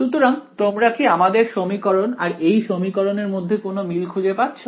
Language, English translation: Bengali, So, do you see any similarity between this equation and our equation